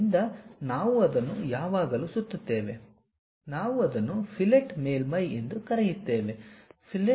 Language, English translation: Kannada, So, we always round it off, such kind of things what we call fillet surfaces